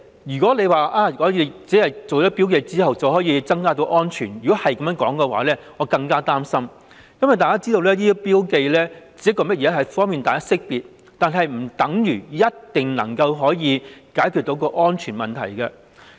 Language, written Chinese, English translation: Cantonese, 如果政府說增加標記便能提升安全程度，我會更感擔心，因為大家也知道這些標記只是方便識別，不等於一定可以解決安全問題。, I am even more worried because the Government thinks that safety can be enhanced simply by adding markings . As we all know these markings only facilitate easy identification . It does not mean that the markings can truly solve the safety issue